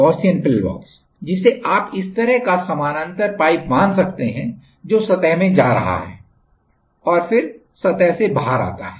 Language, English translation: Hindi, Gaussian pillbox is this kind of parallel pipe you can assume and this is going, let us say in to the surface and then coming out of the surface